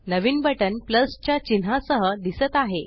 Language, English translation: Marathi, A new button with a plus sign has appeared